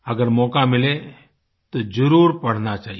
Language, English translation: Hindi, Given an opportunity, one must read it